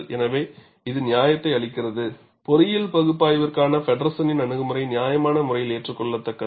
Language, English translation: Tamil, So, this gives the justification, Feddersen’s approach for engineering analysis is reasonably acceptable